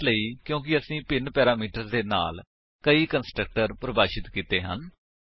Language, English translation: Punjabi, This is simply because we have defined multiple constructor with different parameters